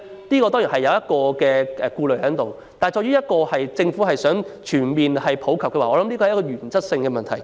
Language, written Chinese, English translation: Cantonese, 這當然是需要顧慮的一點，但政府若想全面普及，便要解決這原則性問題。, This is certainly one point we should take into consideration but it is also a matter of principle that the Government should address if it wishes to encourage childbearing